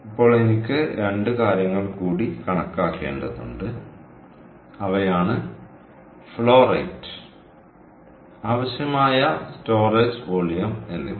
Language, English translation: Malayalam, now i have to calculate two more things, and those are: what is the flow rate and what is the storage volume that would be required